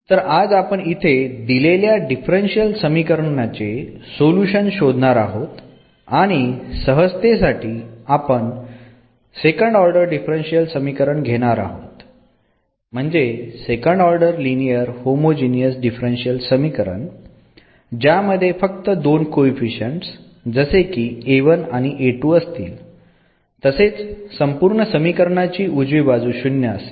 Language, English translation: Marathi, So, today we will now get to the solution of this differential equation and for example now for simplicity we are considering the second order differential equation, second order linear homogeneous differential equation with these two coefficients a 1 and a 2 and the right hand side is 0